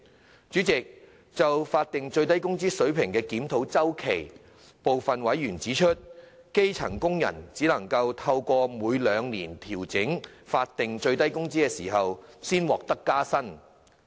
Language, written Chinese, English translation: Cantonese, 代理主席，就法定最低工資水平的檢討周期，部分委員指出，基層工人只能透過每兩年調整法定最低工資時才獲得加薪。, Deputy President as regards the review cycle of the SMW rate some members have pointed out that low - paid employees would only get a pay rise upon the adjustment of SMW in every two years